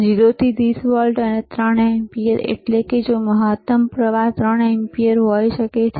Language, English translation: Gujarati, 0 to 30 volts and 3 ampere;, means, maximum current can be 3 ampere